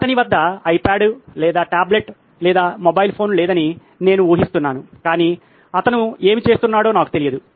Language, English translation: Telugu, I guess he doesn’t have an iPad or a tablet or a mobile phone but I don’t know what he is up